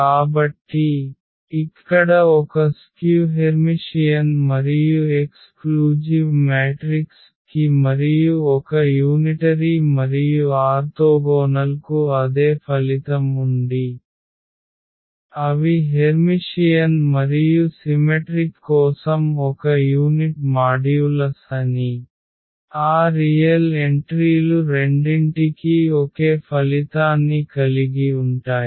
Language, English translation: Telugu, So, here for a skew Hermitian and exclusive metric the same thing unitary and orthogonal we have the same result, that they are of a unit modulus for Hermitian and symmetric we have also the same result for both that they are the real entries